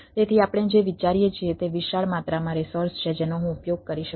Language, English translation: Gujarati, so what we, what we are thinking, it is a enormous amount of resources are there, which is which i can use as i